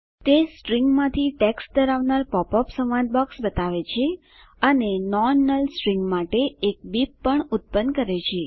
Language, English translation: Gujarati, It shows a pop up dialog box containing text from the string and also generates a beep for non null strings